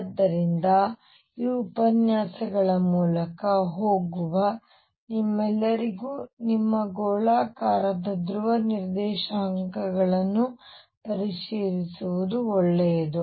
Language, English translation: Kannada, So, it will be a good idea for all of you who are going through these lectures to review your spherical polar coordinates